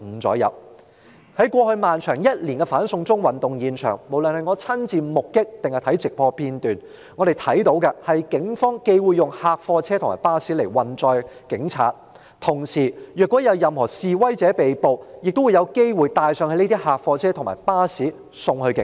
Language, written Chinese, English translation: Cantonese, 在過去一年漫長的"反送中"運動現場，無論是親眼目擊或觀看直播片段，我們看到警方既會用客貨車和巴士來運載警察，同時若有任何示威者被捕，他們亦有機會被帶上這些客貨車和巴士送往警署。, At the scene of the lengthy anti - extradition to China movement in the past year whether as first - hand experience or on live television broadcast we saw the Police use both vans and buses to transport police officers . At the same time if protesters were arrested they would also be possibly taken on board such vans and buses and sent to police stations